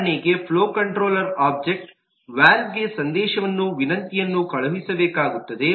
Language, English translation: Kannada, for example, the flow controller has to send a message request to the object valve